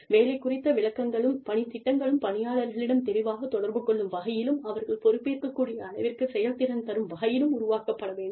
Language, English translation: Tamil, Job descriptions and work plans, should be developed, to communicate effectively to employees, the performance standards to which, they will be held accountable